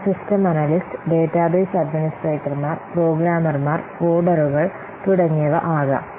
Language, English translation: Malayalam, They could be, that could be system analyst, database administrators, programmers, code, etc